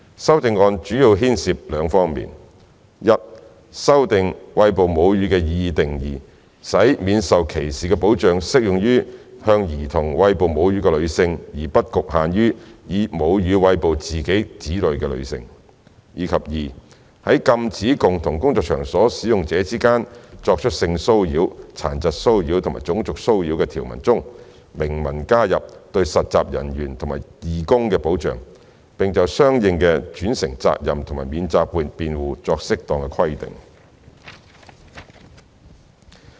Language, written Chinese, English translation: Cantonese, 修正案主要牽涉兩方面：一修訂"餵哺母乳"的擬議定義，使免受歧視的保障適用於向兒童餵哺母乳的女性，而不局限於以母乳餵哺自己的子女的女性；及二在禁止共同工作場所使用者之間作出性騷擾、殘疾騷擾及種族騷擾的條文中，明文加入對實習人員及義工的保障，並就相應的轉承責任和免責辯護作適當的規定。, These CSAs mainly seek to 1 amend the proposed definition of breastfeeding so that the scope of protection from discrimination will be expanded to cover women who feed children with their breast milk instead of limiting to women who feed their own children with their breast milk; and 2 expressly specify in the provisions prohibiting sexual disability and racial harassment between persons working in a common workplace that interns and volunteers will be covered and formulate appropriate provisions for the corresponding vicarious liability and defence